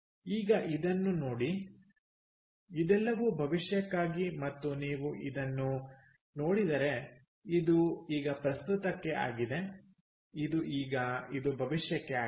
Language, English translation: Kannada, now, look at this, all this is for the future, and if you look at this, this is now for present, this is now, this is future